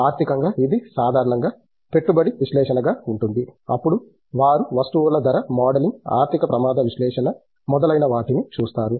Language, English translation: Telugu, In financial, it has been typically investment analysis then they look at commodity price modeling, financial risk analysis etcetera